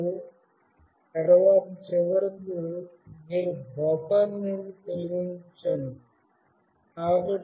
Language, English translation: Telugu, And then finally, you remove from the buffer